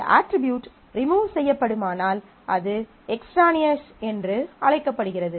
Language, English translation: Tamil, So, if an attribute can be removed, then it is called extraneous